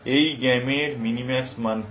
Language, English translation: Bengali, What is minimax value of this game